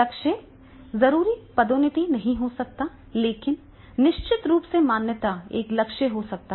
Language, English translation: Hindi, Goal may not be necessarily promotion but definitely a recognition can be a goal